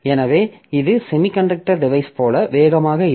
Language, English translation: Tamil, So it is not as fast as the semiconductor devices